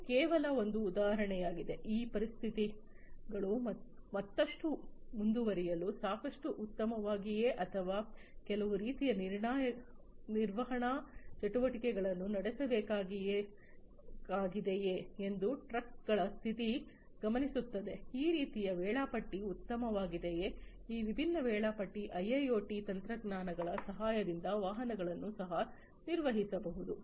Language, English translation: Kannada, But this is a just an example that, the condition of the trucks whether you know these conditions are good enough for carrying on further or there is some kind of maintenance activity that will need to be carried on, like this is the scheduling optimum scheduling of these different vehicles could also be performed with the help of IIoT technologies